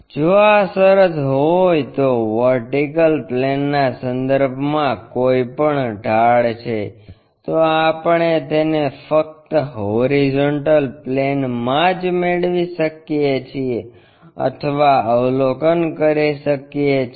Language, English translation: Gujarati, If that is the case any inclination with respect to vertical plane we can perceive it only or observe it only in the horizontal plane